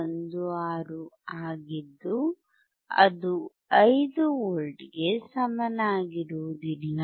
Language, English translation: Kannada, 16 which is not equal to 5 V